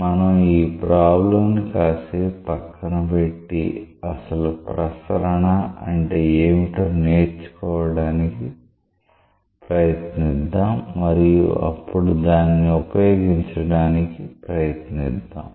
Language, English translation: Telugu, So, we will keep this problem a bit aside, try to learn what is the meaning of the terminology circulation and then we will try to apply it